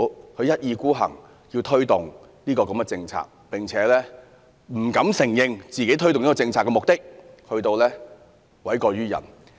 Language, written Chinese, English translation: Cantonese, 政府一意孤行要推動這項政策，不單不敢承認推動這項政策的目的，更要諉過於人。, The Government insists on implementing this policy yet fearing to admit the purpose of doing so and shifts the blame to others